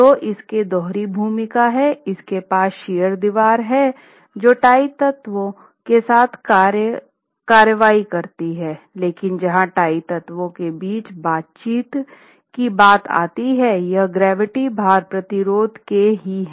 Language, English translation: Hindi, So, it has a dual role, it's the shear wall for lateral actions along with the tie elements, that's where the interaction between the tie elements and the shear walls come about, but for gravity load resistance, it's again the load bearing elements